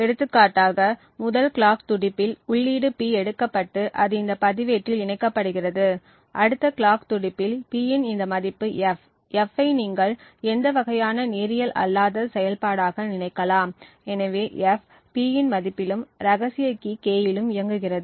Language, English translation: Tamil, For example, in the first clock pulse the input P is taken and it gets latched into this register, in the next clock pulse this value of P is fed into F, F you could think of as any kind of nonlinear function, so what F does is that it operates on the value of P and also the secret key K